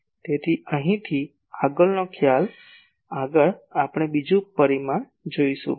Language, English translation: Gujarati, So, the next concept from here , next we will see another parameter